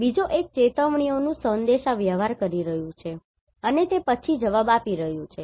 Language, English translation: Gujarati, The second one is communicating alerts, and then responding